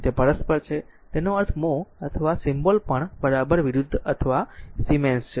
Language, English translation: Gujarati, So, it is reciprocal of that that is why it is mean mho or symbol is also just opposite right or siemens